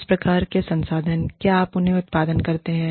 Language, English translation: Hindi, What kinds of resources, do you provide them